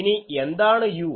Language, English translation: Malayalam, What is this